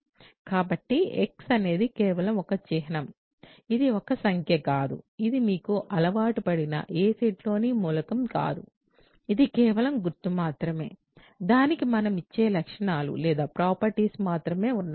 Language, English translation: Telugu, So, x is just a symbol it is not a number, it is not an element of any set that you are used to it is just symbol, it has only those properties that we give it ok